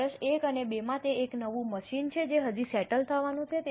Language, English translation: Gujarati, In year 1 and 2, it's a new machine yet to settle